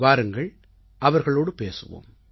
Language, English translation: Tamil, Let's talk to them